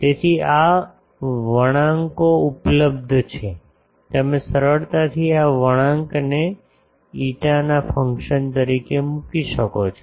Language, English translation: Gujarati, So, these curves are available, you can easily put these curves as a function of phi